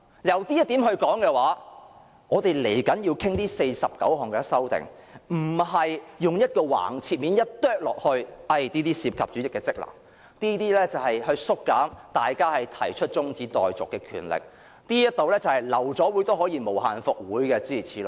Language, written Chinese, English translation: Cantonese, 就這一點而言，我們稍後要討論的49項修訂，不應簡單地切割為這些涉及主席的職能，這些會削減大家提出中止待續議案的權力，這些是關於流會也可以無限復會，諸如此類。, Regarding this point the 49 amendments which we are going to discuss in a while should not be simply divided into such groups as one involving the Presidents powers one reducing Members power of proposing adjournment motions one enabling a meeting to be resumed indefinitely after abortion so on and so forth